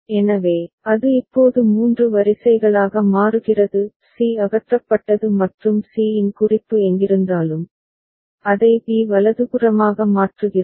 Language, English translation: Tamil, So, it becomes three rows now; c is removed and wherever reference of c was there, we are replacing that with b right